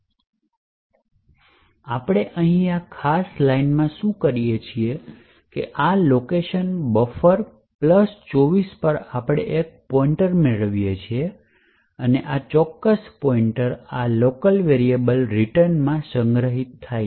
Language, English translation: Gujarati, Now, what we do in this particular line over here is that at this location buffer plus 24 we obtain a pointer and this particular pointer is stored in this local variable return